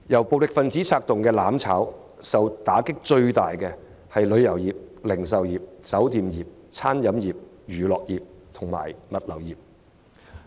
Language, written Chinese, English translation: Cantonese, 暴力分子策動"攬炒"，首當其衝的是旅遊業、零售業、酒店業、餐飲業、娛樂業及物流業。, As violent individuals instigate their plots of burning together the tourism industry the retail sector hotels restaurants the entertainment business and the logistics industry are bearing the brunt